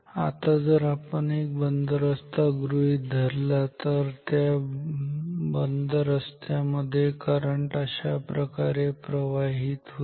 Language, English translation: Marathi, Now if we consider a closed path, then in this closed path current will flow like this ok